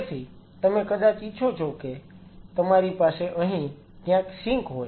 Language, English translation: Gujarati, So, you probably want you have a sink somewhere out here